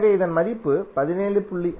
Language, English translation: Tamil, So the value of this would be 17